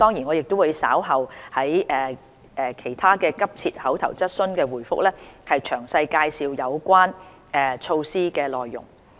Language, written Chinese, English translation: Cantonese, 我稍後答覆其他急切口頭質詢時會詳細介紹有關措施的內容。, I will introduce the measures in detail in my oral reply to other urgent questions